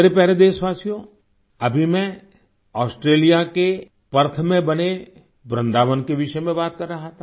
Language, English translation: Hindi, I was just referring to the subject of Vrindavan, built at Perth, Australia